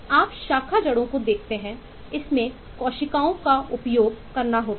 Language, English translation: Hindi, so if you look at branch roots, it has to use cells